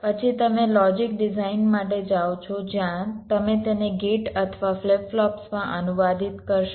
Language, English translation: Gujarati, then you go for logic design, where you would translate them into gates or flip flops